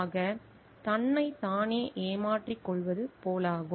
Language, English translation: Tamil, So, it is like cheating oneself